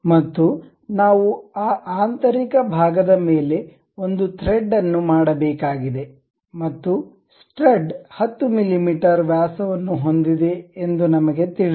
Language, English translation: Kannada, And we have to make thread over that internal portion and we know that the stud has diameter of 10 mm